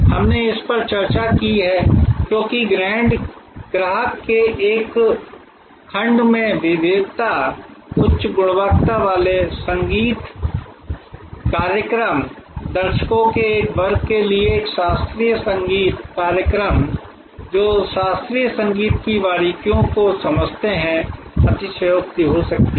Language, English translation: Hindi, We have discuss this, because of the heterogeneity, high quality musical concert to one segment of customer, a classical concert to a segment of audience who understand the nuances of classical music can be superlative